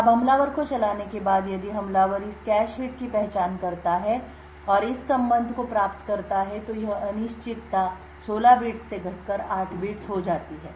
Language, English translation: Hindi, Now after running the attacker if the attacker identifies this cache hit and obtains a relation like this uncertainty reduces from 16 bits to 8 bits